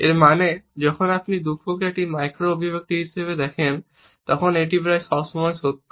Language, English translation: Bengali, This means when you see sadness as a micro expression it is almost always true